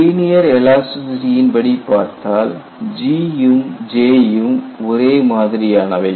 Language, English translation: Tamil, In linear elasticity, we know what is G